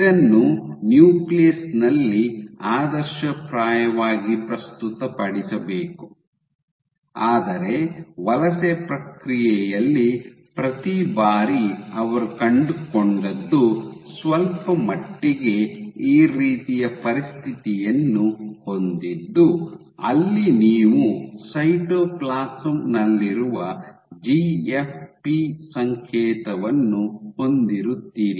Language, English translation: Kannada, So, this should ideally only we presented in the nucleus, but what they found was during the migration process every once in a while, they would have a situation somewhat like this, where you have the GFP signal would be present in the cytoplasm